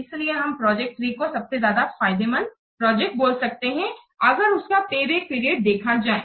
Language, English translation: Hindi, So, your project three may be treated as the most beneficial project if we will consider the payback period